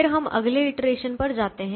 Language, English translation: Hindi, then we move to the next iteration